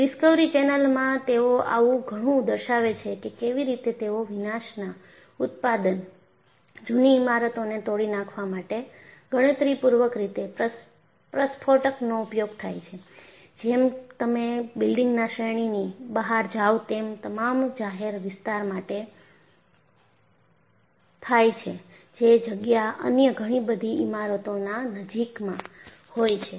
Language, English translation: Gujarati, In fact, in the discovery channel, they show how they use detonators in a calculated fashion to demolish old buildings without the product of demolition, go out of that building range because it is all in a public locality where several other buildings are nearby